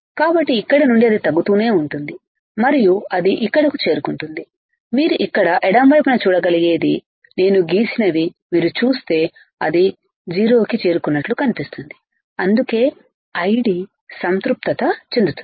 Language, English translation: Telugu, So, from here it will go on decreasing and then it will reach here, what you can see here on the left side, what I have drawn you see right it looks like it is approaching 0, and that is why I D would be I D saturation